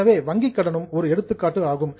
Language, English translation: Tamil, So, bank loan also is an example of a liability